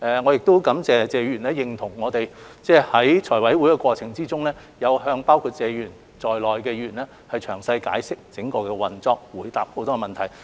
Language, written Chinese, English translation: Cantonese, 我亦感謝謝議員認同我們在財委會審批的過程中，有向包括謝議員在內的議員詳細解釋整個項目的運作，並回答了很多問題。, I also thank Mr TSE for recognizing our efforts during the scrutiny by FC such as giving a detailed explanation to Members including Mr TSE on the operation of the whole project and answering many enquiries